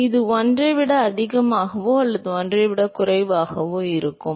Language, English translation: Tamil, It will be greater than 1 or less than 1